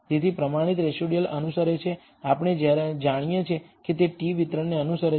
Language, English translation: Gujarati, So, the standardized residual roughly follow we know it follows a t distribution